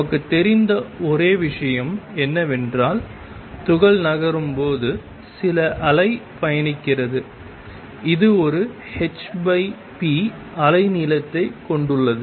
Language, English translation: Tamil, The only thing we know is that there is some wave travelling with the particle when it moves and it has a wavelength h over p